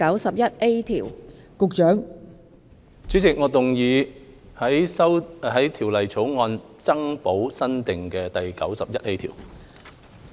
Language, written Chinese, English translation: Cantonese, 代理主席，我動議在條例草案增補新訂的第 91A 條。, Deputy Chairman I move that the new clause 91A be added to the Bill